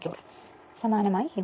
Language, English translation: Malayalam, So, similarly like this